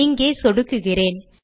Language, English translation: Tamil, Let me click here